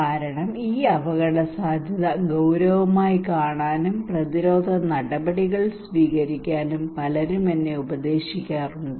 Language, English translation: Malayalam, Because many people are advising me to consider this risk as serious and to take preventive actions